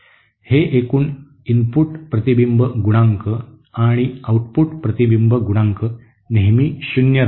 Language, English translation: Marathi, That is the total input reflection coefficient and output reflection coefficient will always be zero